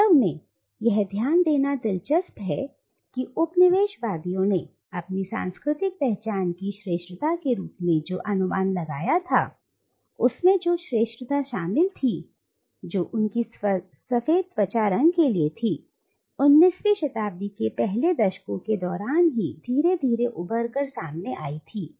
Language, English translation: Hindi, Indeed it is interesting to note that much of what the coloniser projected as the superiority of their cultural identity, including the superiority that they ascribed to their white skin colour, emerged only gradually during the first decades of the 19th century